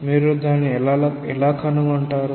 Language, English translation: Telugu, How will you find it out